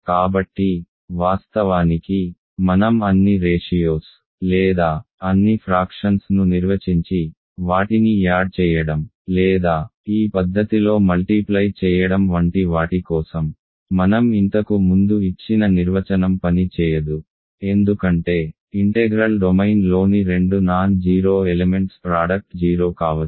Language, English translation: Telugu, So, of course, the definition that I have given for you earlier where I define all ratios or all fractions and add them or multiply them in this fashion clearly will not work because product of two non 0 elements in a non integral domain can be 0